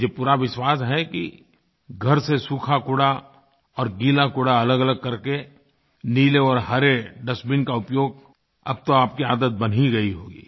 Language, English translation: Hindi, I am very sure that using blue and green dustbins to collect dry and wet garbage respectively must have become your habit by now